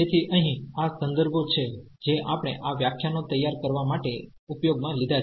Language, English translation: Gujarati, So, here these are the references we have used to prepare these lectures and